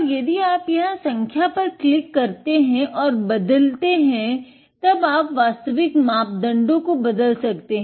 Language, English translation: Hindi, And if you click the number out here and edit, then you can change the actual parameters